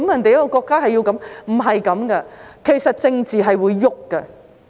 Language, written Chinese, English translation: Cantonese, 不是這樣子的，其實政治是會變的。, That just does not happen . In actual fact politics is dynamic